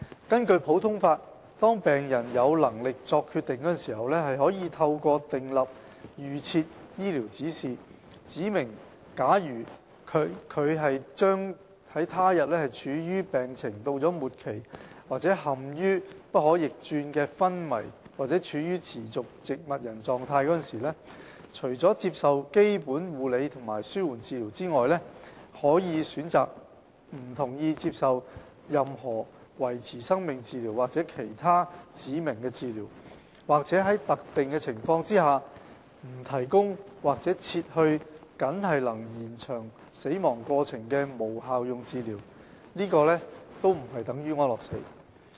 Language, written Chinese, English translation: Cantonese, 根據普通法，當病人有能力作決定的時候，可透過訂立預設醫療指示，指明假如他處於病情到了末期或陷於不可逆轉的昏迷或處於持續植物人狀況時，除了接受基本護理和紓緩治療外，他可以選擇不同意接受任何維持生命治療或其他指明的治療，或在特定情況下不提供或撤去僅能延長死亡過程的無效用治療，這並非等於安樂死。, Under common law a patient may while mentally competent to make decisions give an advance directive to specify that apart from basic and palliative care he chooses not to receive any life - sustaining treatment or any other specified treatment when he is terminally ill in a state of irreversible coma or in a persistent vegetative state or to specify the withholding or withdrawal of futile treatment which merely postpones his death under specific conditions . This is not equivalent to euthanasia